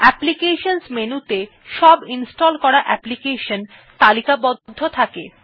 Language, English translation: Bengali, The application menu contains all the installed applications in a categorized manner